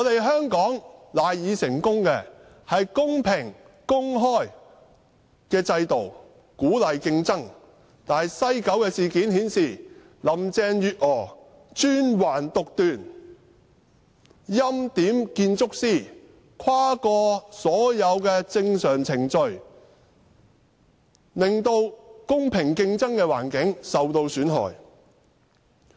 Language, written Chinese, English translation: Cantonese, 香港賴以成功的是公平、公開的制度，鼓勵競爭，但西九事件卻顯示，林鄭月娥專橫獨斷，欽點建築師，跨過所有正常程序，令公平競爭的環境受到損害。, A fair and open system which encourages competition is the key to Hong Kongs success . However the West Kowloon Cultural District WCKD incident revealed the imperious and arbitrary side of Carrie LAM . She went around all normal procedures and ordained the architect